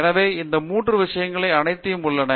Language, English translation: Tamil, So, all these 3 things are there